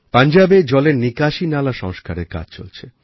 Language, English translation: Bengali, The drainage lines are being fixed in Punjab